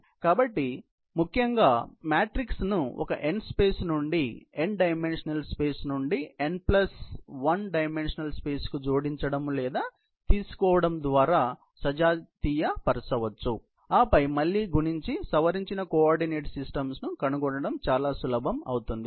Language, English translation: Telugu, So, basically homogenize the matrix by adding or taking the matrix from a n space to n dimensional space to n plus 1 dimensional space and then, that becomes very easy to again, multiply and find out the modified coordinate systems